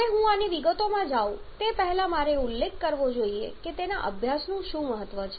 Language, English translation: Gujarati, Now before I go into the details of this I must mention that what is the importance of studying that